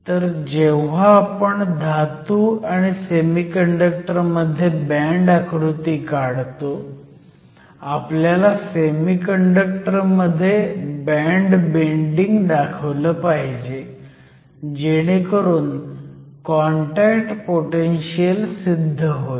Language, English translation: Marathi, So, when we draw the band diagram between a metal and a semiconductor, we have to show the bands bending in the case of semiconductor to explain this contact potential